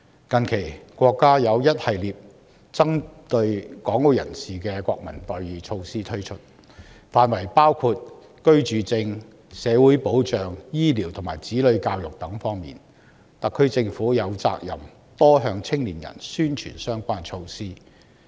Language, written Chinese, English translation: Cantonese, 近期，國家推出一系列針對港澳人士的國民待遇措施，涵蓋居住證、社會保障、醫療及子女教育等方面，特區政府有責任多向青年人宣傳相關措施。, Our country has recently implemented a series of measures to provide Hong Kong and Macao residents with national treatment covering residence permit social protection health care services and childrens education . The SAR Government should step up publicity to raise young peoples awareness of such measures